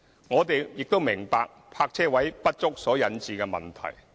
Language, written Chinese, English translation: Cantonese, 我們亦明白泊車位不足所引致的問題。, We are also fully aware of the problems caused by insufficient parking spaces